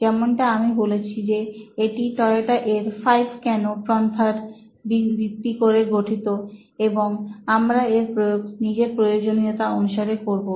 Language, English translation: Bengali, So like I said this is based on Toyota’s 5 Whys approach, we will use it for our own convenience